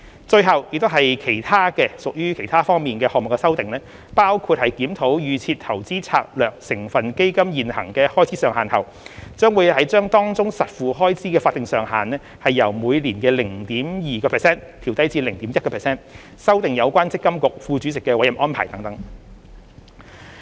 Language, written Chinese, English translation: Cantonese, 最後是屬於其他項目方面的修訂，包括在檢討預設投資策略成分基金現行的開支上限後，把當中的實付開支法定上限由每年 0.2% 調低至 0.1%、修訂有關積金局副主席的委任安排等。, Lastly there are amendments in other aspects including lowering the statutory fee cap on out - of - pocket expenses from 0.2 % to 0.1 % per annum following a review of the existing statutory fee cap for the Default Investment Strategy DIS constituent funds and revising the appointment arrangements of the deputy chairperson of MPFA